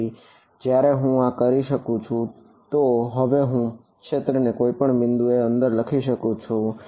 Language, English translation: Gujarati, So, when I do this now I can write down field at any point inside how can I write it now